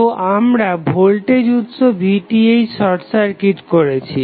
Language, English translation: Bengali, So, we have short circuited the voltage source Vth